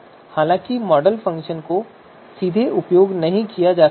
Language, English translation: Hindi, So therefore model function cannot be used directly